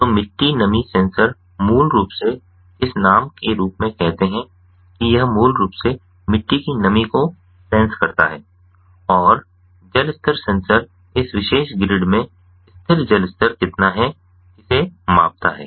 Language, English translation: Hindi, so the soil moisture sensor, basically, as this name says that it ah, it basically sensors the soil moisture and the water level sensor is how much is the stagnant water level in this particular grid